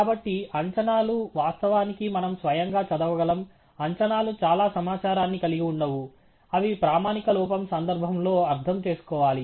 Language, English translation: Telugu, So, the estimates, of course, we can read off; by themselves the estimates do not carry a lot of information, they have to be interpreted in the context of the standard error